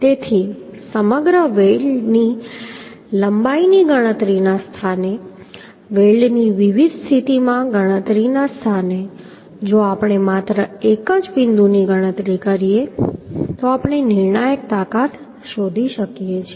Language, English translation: Gujarati, So in place of calculating entire weld length in place of calculating in different position of the weld if we calculate only one point then we can find out the critical strength